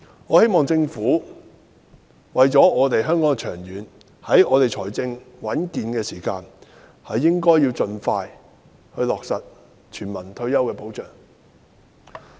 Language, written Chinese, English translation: Cantonese, 我希望政府應為香港長遠着想，在政府財政穩健的時間盡快落實全民退休保障。, I hope that the Government will take Hong Kongs long - term interests into account and expeditiously implement universal retirement protection given its current sound fiscal position